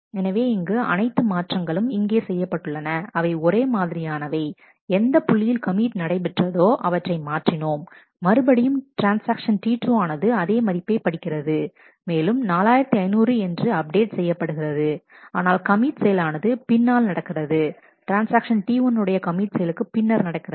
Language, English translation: Tamil, So, what has been done here that all the changes are the same, but the only point that we have done is we have changed the point where the commit happens again still the T 2 is reading the same value in our in a and is making the updates 4500, but the commit happens at a later point of time after the commit of this transaction T 1 has taken place